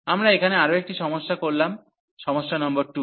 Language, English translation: Bengali, So, we do one more problem here that is problem number 2